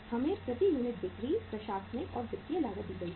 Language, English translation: Hindi, We are given selling, administration, and the financial cost per unit